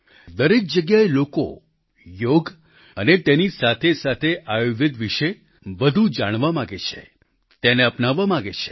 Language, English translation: Gujarati, People everywhere want to know more about 'Yoga' and along with it 'Ayurveda' and adopt it as a way of life